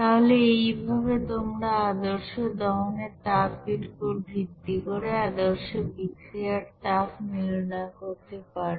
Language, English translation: Bengali, So in this way you can calculate what will be the standard heat of reaction based on the standard heat of combustion, okay